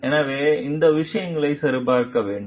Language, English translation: Tamil, So, those things need to be checked